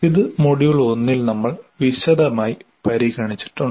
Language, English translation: Malayalam, This we have we have looked extensively in module 1